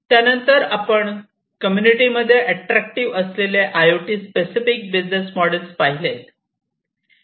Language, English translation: Marathi, Thereafter, we have gone through the IoT specific business models that are attractive in the community